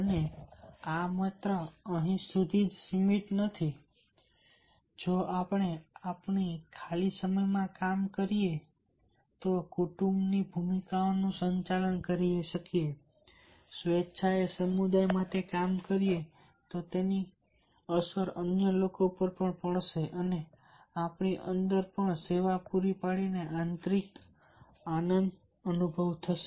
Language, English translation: Gujarati, not only that: if we do our free time, work, manage the family roles, voluntarily, do the work for the community, then it will have a impact on others and within us will also experience the inner joy by providing the service to the others